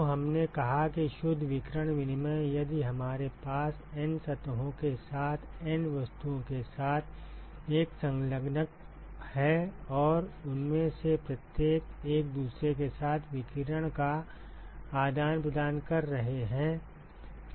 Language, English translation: Hindi, So, we said that the net radiation exchange, if we have an enclosure with N objects with N surfaces and each of them are exchanging radiation with each other